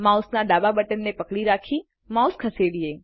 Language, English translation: Gujarati, Hold the left mouse button and drag